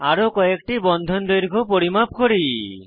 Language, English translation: Bengali, Lets do some more measurements of bond lengths